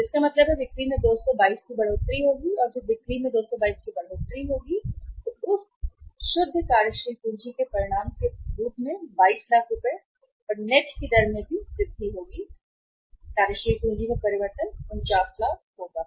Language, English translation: Hindi, So it means the increase in the sales will be 222 and when there is a increase in the sales by 222 lakhs so as a result of that net working capital will also increase at the rate of 22